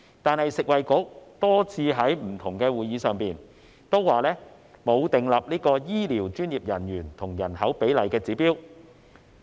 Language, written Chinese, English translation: Cantonese, 但是，食物及衞生局多次在不同會議上也表示，沒有訂立醫療專業人員與人口比例的指標。, However the Food and Health Bureau FHB has stated repeatedly at different meetings that no target has been set for the ratio of healthcare professionals to the population